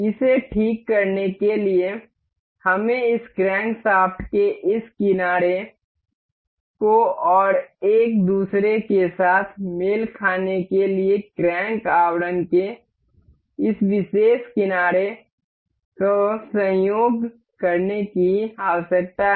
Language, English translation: Hindi, For the fixing this, we need to coincide the this edge of this crankshaft and the this particular edge of the crank casing to coincide with each other